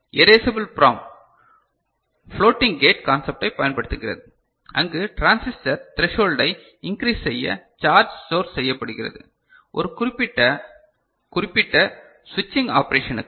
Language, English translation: Tamil, Erasable PROM uses floating gate concept where charge is stored to increase the threshold voltage of the transistor for a specific switching operation